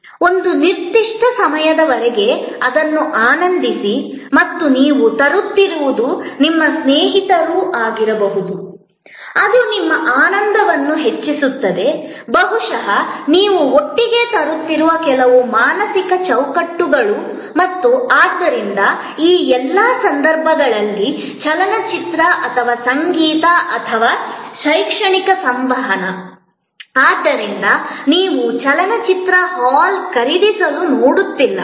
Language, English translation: Kannada, For a certain time, enjoying it and you are bringing also may be your friends, which enhances your enjoyment, maybe certain mental framework that you are bringing together and therefore, the movie or a music consort or an educational interaction in all these cases therefore, you are not looking for buying the movie hall